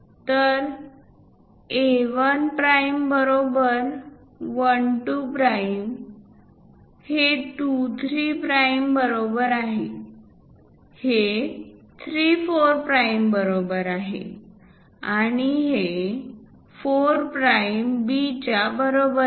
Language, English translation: Marathi, So, A 1 prime equal to 1 2 prime; is equal to 2 3 prime; equal to 3 4 prime; equal to 4 prime B